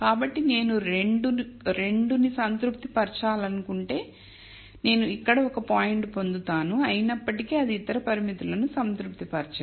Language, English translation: Telugu, So, if I want to satisfy 2, I will get a point here nonetheless it would not satisfy the other constraint and so, on